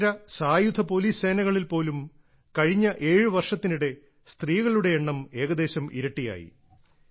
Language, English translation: Malayalam, Even in the Central Armed Police Forces, the number of women has almost doubled in the last seven years